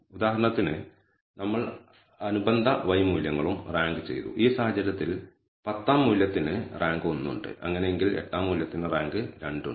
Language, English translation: Malayalam, We also ranked the corresponding y values for example, in this case the tenth value has a rank 1 and so on so forth, eighth value has a rank 2 and so, on